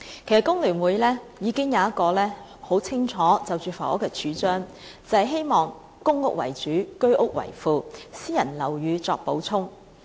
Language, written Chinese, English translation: Cantonese, 其實工聯會就房屋方面已經有很清楚的主張，便是希望以公共房屋為主，居者有其屋計劃為副，私人樓宇作補充。, Actually FTU has ready put forward a clear proposition on the housing issue . We hope that public housing can form the backbone supplemented first by the Home Ownership Scheme HOS and then by private housing